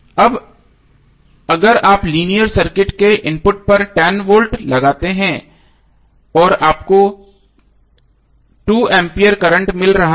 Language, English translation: Hindi, Now if you have applied 10 volt to the input of linear circuit and you got current Is 2 ampere